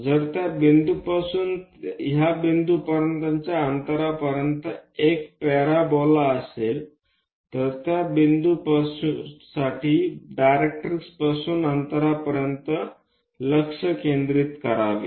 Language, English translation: Marathi, If it is a parabola from this point to that point distance of that point from there to focus by distance from directrix for that point